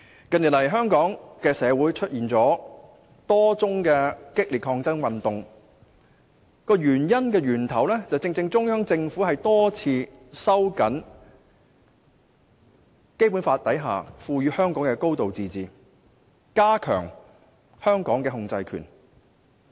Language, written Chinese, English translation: Cantonese, 近年來，香港社會出現多宗激烈的抗爭運動，原因正正在於中央政府多次收緊《基本法》所賦予香港的高度自治權，並加強對香港的控制權。, In recent years there have been a number of intense resistance movements in Hong Kong precisely due to the fact that the Central Government has repeatedly tightened the high degree of autonomy conferred to Hong Kong by the Basic Law and stepped up its control over Hong Kong